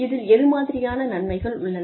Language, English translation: Tamil, And which are the benefits